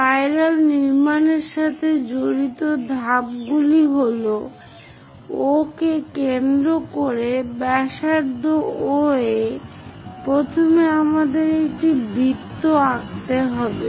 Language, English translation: Bengali, The steps involved in constructing the spiral are with O as center and radius OA first of all, we have to draw a circle